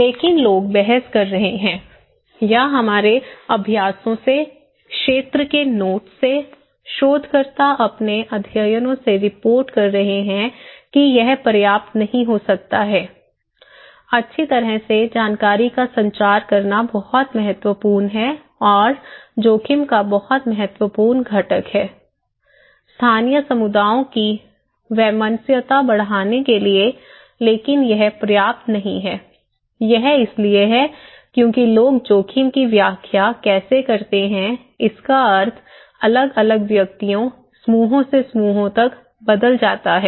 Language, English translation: Hindi, But people are arguing or from our practices, from the field notes, researchers are reporting from their studies that this is may not be enough, well transforming the information is very important and very critical component of risk communications in order to enhance the resiliency of the local communities but that is not enough thatís simple okay, it is because how people interpret, the meaning of risk it varies from individual to individuals, groups to groups, okay